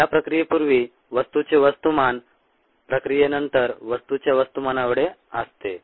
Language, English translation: Marathi, the mass of the species before a process equals the mass of species after the process